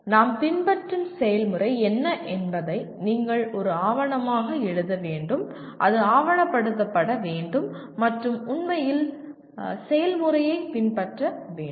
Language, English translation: Tamil, You should write a document on what is the process that we are following and it should be documented and actually follow the process